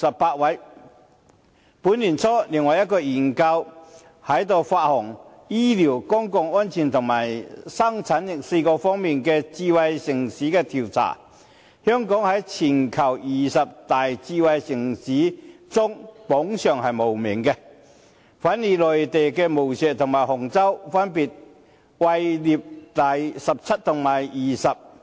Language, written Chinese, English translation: Cantonese, 本年年初，另外一項研究在出行、醫療、公共安全和生產力4個方面的智慧城市調查，全球二十大智慧城市香港榜上無名，反而內地的無錫和杭州分別位列第十七位及第二十位。, Earlier this year in another study on smart city as measured by mobility health care public safety and productivity Hong Kong received no ranking while Mainland cities Wuxi and Hangzhou ranked 17 and 20respectively